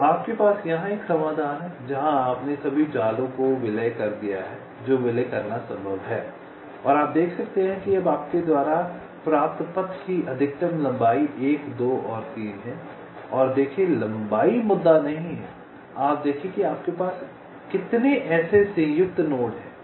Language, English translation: Hindi, so you have a solution here where you have merged all the nets that that are possible to merge, and you can see that now the maximum length of the path that you get is one, two and three, and see, length is not the issue